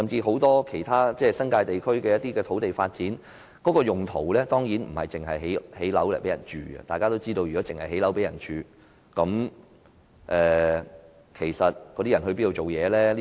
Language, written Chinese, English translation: Cantonese, 很多新界地區的土地發展，當然不只是全部用作興建住宅單位；如果是，當區居民要到哪兒工作？, Land development in many areas of the New Territories is not just for housing development; if that is the case where do local residents go to work?